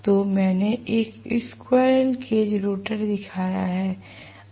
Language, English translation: Hindi, So, I have shown a squirrel cage rotor